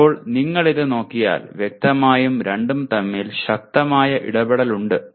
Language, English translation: Malayalam, Now if you look at this there is obviously strong interaction between the two